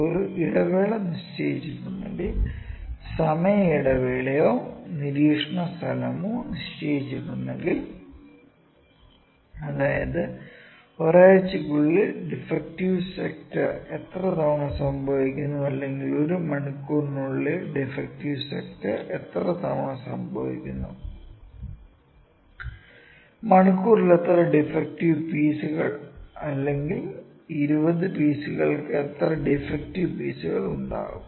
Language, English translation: Malayalam, Then sometimes there is a the interval is fixed, the time space or the observation space is fixed that out of within a week how many times the defect sector or I can say within an hour how many times the defect sector, how many pieces per hour or how many pieces per 20 pieces